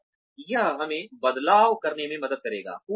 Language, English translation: Hindi, And, that will help us tweak